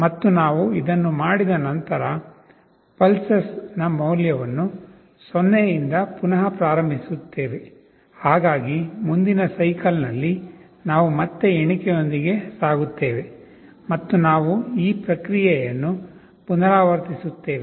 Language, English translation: Kannada, And after we do this we reinitialize the value of pulses to 0 so that in the next cycle we again carryout with the counting and we repeat this process